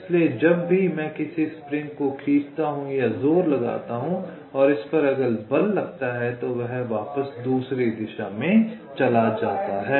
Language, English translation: Hindi, so so whenever i pull or push a spring, or force is exerted which tends to move it back in the other direction, right